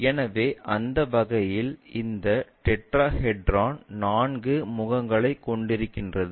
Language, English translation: Tamil, So, in that way we have this tetrahedron fourth faces